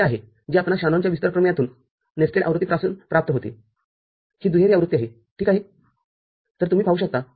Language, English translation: Marathi, So, this is you are getting from nested version Shanon’s expansion theorem, this dual version ok, so that you can see